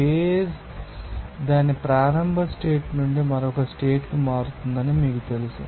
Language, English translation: Telugu, Just you know that the phrase will be, you know, changing from its initial state to another state